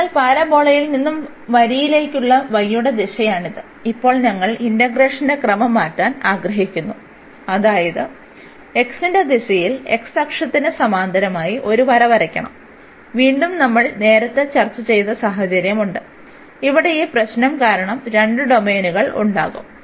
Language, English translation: Malayalam, So, this is the direction for the y from the parabola to the line, and now we want to change the order of integration; that means, in the direction of x we have to draw the draw a line parallel to the x axis and again we have that situation which we have discussed earlier, that there will be 2 domains because of this problem here